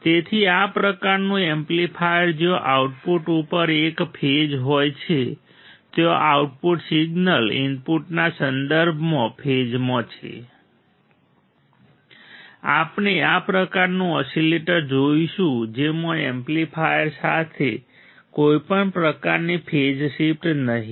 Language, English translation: Gujarati, So, this kind of amplifier where there is a phase at the output the output signal is in phase with respect to input we will see this kind of oscillator in which the amplifier will not have any kind of phase shift ok